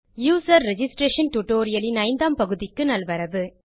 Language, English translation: Tamil, Welcome to the 5th part of the User registration tutorial